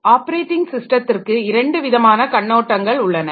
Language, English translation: Tamil, So, operating system consists of two views